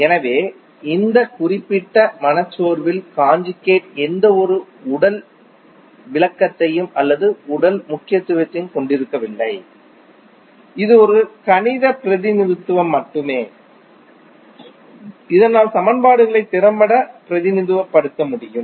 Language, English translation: Tamil, So the conjugate is not having any physical interpretation or physical significance in this particular depression this is just a mathematical representation, so that we can represent the equations effectively